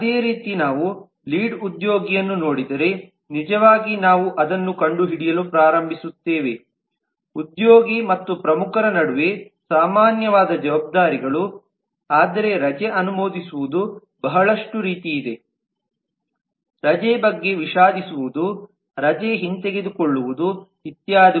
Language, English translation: Kannada, similarly if we look at the lead then actually we start finding that though there are lot of responsibilities which are common between the employee and the lead, but there is a lot like approving leave, regretting leave, revoking leave and so on which are additional for the lead